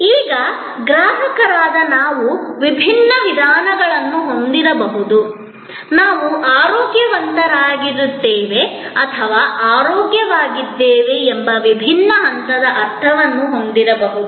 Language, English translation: Kannada, Now, as consumers we may have different modes, we may have different levels of sense of being feeling healthy or feeling well